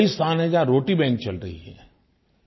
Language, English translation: Hindi, There are many places where 'Roti Banks' are operating